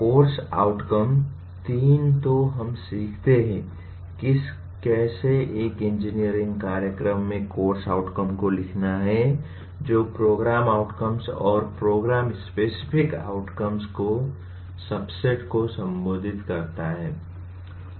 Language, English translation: Hindi, The course outcome three then we learn how to write outcomes of a course in an engineering program that address a subset of program outcomes and program specific outcomes